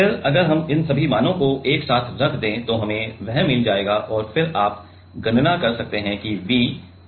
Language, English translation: Hindi, Then if we put all these values together then we will get that and then you can calculate V will be equivalent to equal to 538